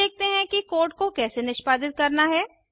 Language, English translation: Hindi, now Let us understand how the code is executed